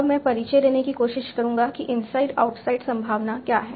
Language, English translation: Hindi, So now I'll try to introduce what is that inside outside probability